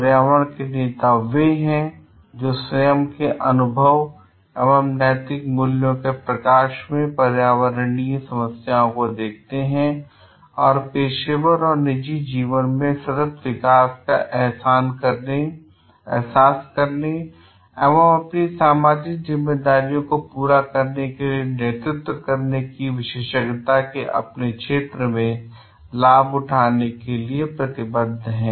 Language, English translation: Hindi, Environmental leaders are those who look at environmental problems in light of their own experience and moral values and are committed to leveraging, their area of expertise to realise sustainable development in the professional and private lives and exercise leadership in fulfilling their social responsibilities